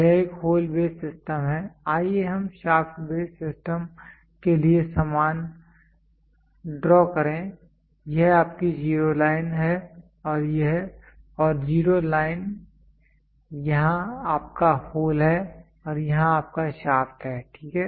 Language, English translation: Hindi, This is for a hole base system, let us draw the same for a shaft based system this is your zero line and zero line here is your hole and here is your shaft, so this is your shaft and this is your hole, ok